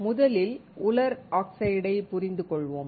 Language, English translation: Tamil, First, let us understand dry oxide